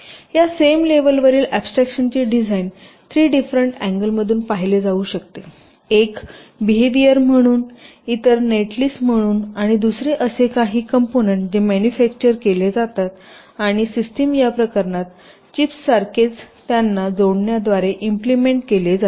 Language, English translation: Marathi, so what i mean to say is that the design, at this same level of abstraction, can be viewed from three different angles: one as the behavior, other as a net list and the other as some components which are actually manufactured and the system is, ah miss, implemented by inter connecting them like chips, in this case